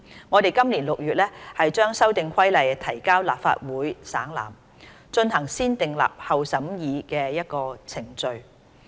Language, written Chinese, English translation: Cantonese, 我們今年6月把《修訂規例》提交立法會省覽，進行先訂立後審議的程序。, In June this year the Amendment Regulation was tabled before the Legislative Council and subject to the negative vetting procedure